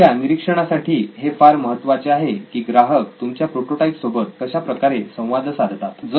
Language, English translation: Marathi, So that is important to your observation, the customer actually interacting with the prototype